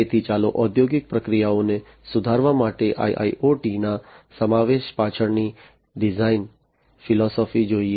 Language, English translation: Gujarati, So, let us look at the design philosophy behind the inclusion of IIoT for improving the industrial processes